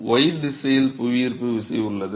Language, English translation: Tamil, Y direction yeah this is gravity in this direction